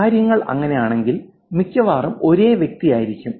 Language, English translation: Malayalam, If things are like that, it's most likely the same person